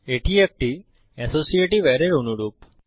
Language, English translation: Bengali, It is very similar to an associative array